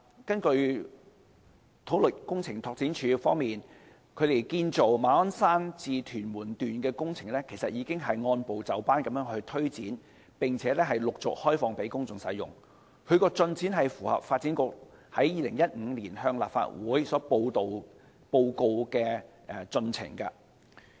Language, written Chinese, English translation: Cantonese, 根據土木工程拓展署，建造馬鞍山至屯門段的工程其實已經按部就班推展，並且陸續開放給公眾使用，有關進展是符合發展局在2015年向立法會報告的進程。, According to the Civil Engineering and Development Department the construction works of the section from Ma On Shan to Tuen Mun have actually been implemented in an orderly manner and it will be opened for public use in phases making the scheduled progress as reported by the Development Bureau to the Legislative Council in 2015